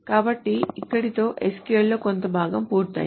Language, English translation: Telugu, So this completes the part of SQL